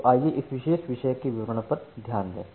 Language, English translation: Hindi, So, let us look into the details of this particular topic